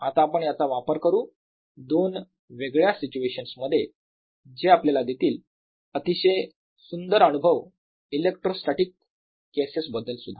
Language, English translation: Marathi, let us now apply this in two different situation and gives you very beautiful feeling for electrostatic cases also